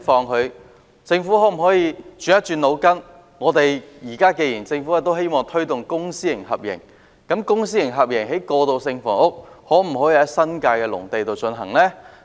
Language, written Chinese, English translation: Cantonese, 那麼，政府可否動動腦筋，既然政府現在希望推動公私合營，可否在新界農地以公私合營方式興建過渡性房屋呢？, So can the Government rack its brains? . Since the Government now seeks to promote public - private partnership can it build transitional housing on agricultural lands in the New Territories under a public - private partnership approach?